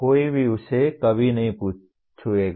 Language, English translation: Hindi, Nobody will ever touch that